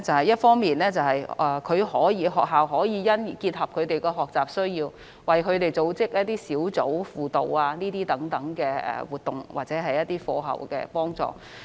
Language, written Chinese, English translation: Cantonese, 一方面，學校可因應他們的學習需要，為他們組織一些小組輔導等活動或課後輔助活動。, On the one hand schools may cater for the learning needs of individual students by developing such activities as small group tutorial classes or after - school tutorial classes